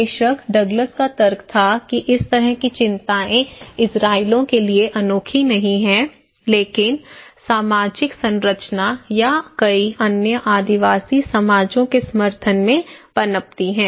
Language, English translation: Hindi, Douglas was, of course, arguing that such concerns are not unique to the Israelis but thrive today in support of social structure or many other tribal societies